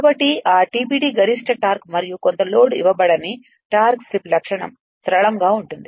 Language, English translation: Telugu, So, that that TBD is the maximum torque right and the torque slip characteristic for no load somewhat given full load is linear